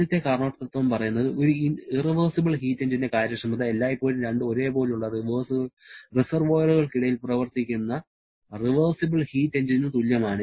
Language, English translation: Malayalam, The first Carnot principle says that the efficiency of an irreversible heat engine is always less than the same for a reversible heat engine operating between the same 2 reservoirs